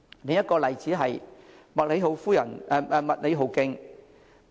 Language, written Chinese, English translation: Cantonese, 另一個例子是麥理浩徑。, Another example is the MacLehose Trail